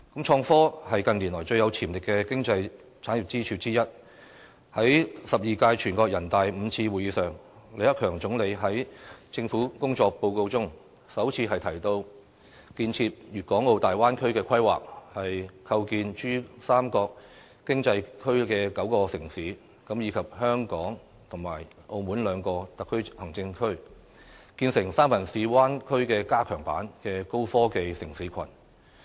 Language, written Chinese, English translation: Cantonese, 創科是近年來最有潛力的經濟產業支柱之一，在第十二屆全國人大五次會議上，李克強總理在政府工作報告中，首次提到建設粵港澳大灣區的規劃，構建珠三角經濟區的9個城市，以及香港和澳門兩個特別行政區，建成"三藩市灣區加強版"的高科技城市群。, In recent years innovation and technology has become one of pillar industries with the greatest potentials . When delivering the Report on the Work of the Government at the Fifth Session of the Twelfth National Peoples Congress Premier LI Keqiang mentioned for the first time the plan to develop the Guangdong - Hong Kong - Macao Bay Area which aims to build an enhanced version of the San Francisco Bay Area a high - tech city cluster embracing nine cities in the Pearl River Delta Economic Zone and the two Special Administrative Regions of Hong Kong and Macao